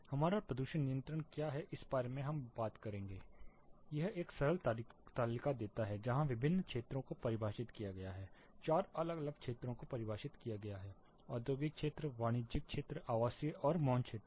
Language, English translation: Hindi, What is our pollution control we will talk about it gives a simple table where different areas zones are defined; four different zones are defined industrial area, commercial, residential and silence zone